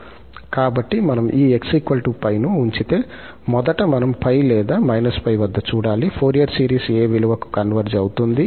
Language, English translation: Telugu, So, if we put this x is equal to plus pi, first we have to see at plus pi or minus pi, that to what value the Fourier series converges